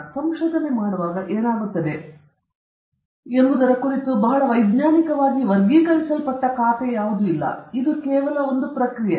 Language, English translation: Kannada, This is not a very scientifically classified account of what happens when we do research; it is just a commonsensical account of it the research process